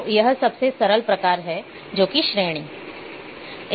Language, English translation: Hindi, So, there is a simplest type of attribute